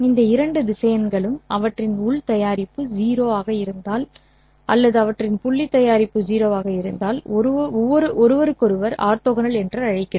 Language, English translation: Tamil, We call these two vectors as orthogonal to each other if their inner product is 0 or if their dot product is 0